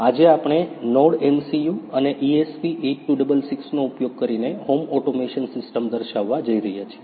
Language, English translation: Gujarati, Today we are going to demonstrate home automation system using NodeMCU, ESP8266